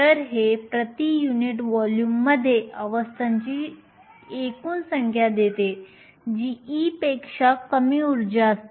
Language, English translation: Marathi, So, this gives the total number of states per unit volume having energy less than e